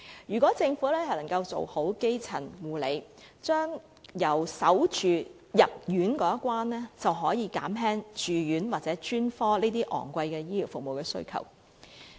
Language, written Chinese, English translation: Cantonese, 如果政府能夠做好基層護理工作，在市民有需要入院前已好好把關，便可以減少住院或專科這些昂貴的醫療服務需求。, If the Government can do a good job in providing primary care and keep the gate well before members of the public need admission to hospital the demand for such expensive healthcare services as hospitalization or specialist consultation will be reduced